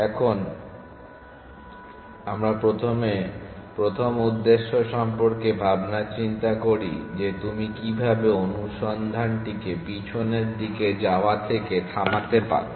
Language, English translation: Bengali, So, let us first worry about the first objective is it how can you stop the search from going backwards